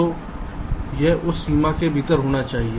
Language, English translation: Hindi, you will have to fit within that budget